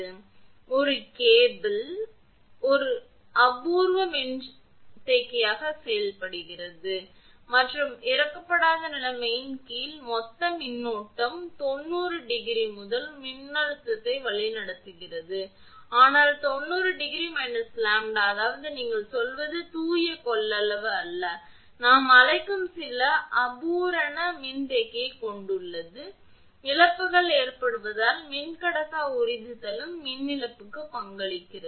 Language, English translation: Tamil, So, thus a cable behaves as an imperfect capacitor and the total current under unloaded conditions, leads the voltage not by ninety degree, but by an angle 90 degree minus delta; that means, it has some what you call it is not a pure capacitance, but it has some imperfect capacitor we call, because losses occurs that dielectric absorption also contribute to the power loss